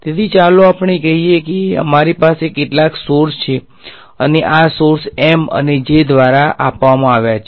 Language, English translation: Gujarati, So, let us say we have some sources, and these sources are given by M and J really simple